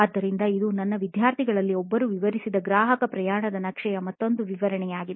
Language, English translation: Kannada, So, this is another example of customer journey map that one of my students had detailed out